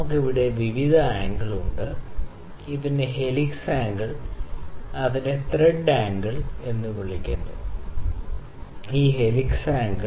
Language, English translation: Malayalam, So, we have various angles here this is known as thread angle we have helix angle, this angle is helix angle, ok